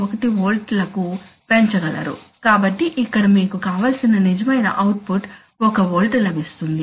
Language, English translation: Telugu, 1volts so that here you get 1 volt which is a real output you want, right